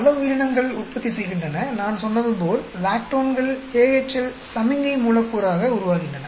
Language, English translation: Tamil, Many organisms produce, as I said, lactones are formed as AHL signaling molecule